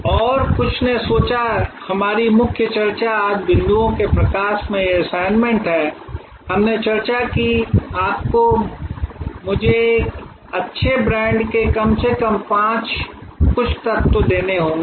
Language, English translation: Hindi, And some advanced thought our main discussion today is this assignment in light of the points, that we discussed that you have to give me some elements of a good brand at least 5